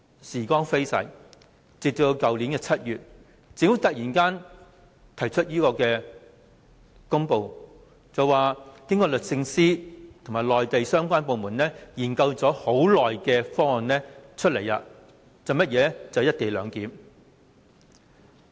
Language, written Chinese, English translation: Cantonese, 時光飛逝，直至去年7月，政府卻突然發表公布，要推出經律政司和內地相關部門研究已久的方案，那就是"一地兩檢"方案。, The Government abruptly announced in July last year the co - location arrangement which had been studied for some time by the Department of Justice and relevant Mainland authorities